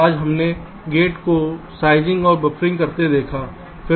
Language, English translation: Hindi, today we have seen gate sizing and buffering